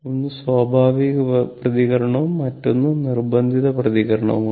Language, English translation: Malayalam, One is natural response and other is the forced response right